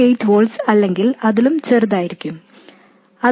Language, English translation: Malayalam, 8 volts or even smaller